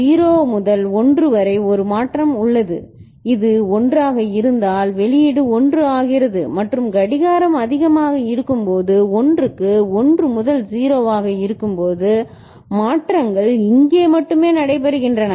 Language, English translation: Tamil, That 0 to 1 there is a change the output becomes 1 if this is 1 and when clock is at high then at 1 when it is 1 to 0, the changes are taking place only here